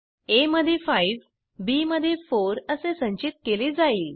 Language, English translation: Marathi, 5 will be stored in a and 4 will be stored in b